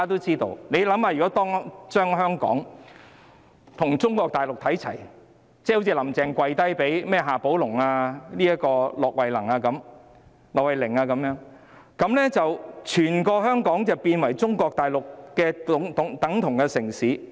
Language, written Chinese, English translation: Cantonese, 試想想，如果香港與中國大陸看齊，好像"林鄭"向夏寶龍、駱惠寧"跪低"，整個香港便會變成與中國大陸的城市一樣。, Come to think about it . If Hong Kong becomes the same as Mainland China just like Carrie LAM kneeing before XIA Baolong and LUO Huining Hong Kong as a whole will become just another city in Mainland China